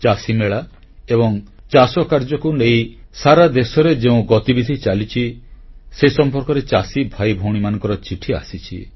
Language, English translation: Odia, Our farmer brothers & sisters have written on Kisan Melas, Farmer Carnivals and activities revolving around farming, being held across the country